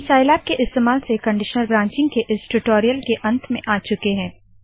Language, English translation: Hindi, This brings us to the end of this spoken tutorial on Conditional Branching using Scilab